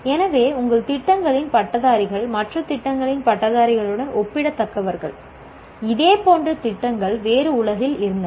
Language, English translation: Tamil, So what happens, the graduates of our programs are comparable to graduates of programs, similar programs elsewhere in the world